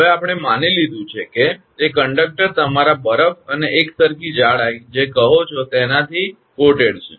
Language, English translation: Gujarati, Now we have assumed that conductor is coated with your what you call ice and uniform thickness